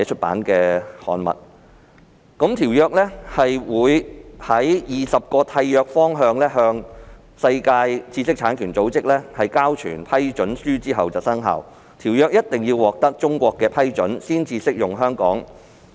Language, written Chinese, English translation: Cantonese, 《馬拉喀什條約》在20個締約方向世界知識產權組織交存批准書後才會生效，並一定要得到中國批准，才可以適用於香港。, The Marrakesh Treaty would only take effect after 20 contracting parties had deposited their instruments of ratifications to WIPO and Chinas ratification was required for the treaty to be applicable to Hong Kong